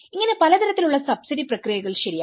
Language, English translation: Malayalam, So, there are many ways these kind of subsidy process also worked